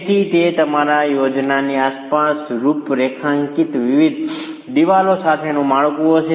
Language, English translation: Gujarati, So that would be a floor for you with different walls configured around the plan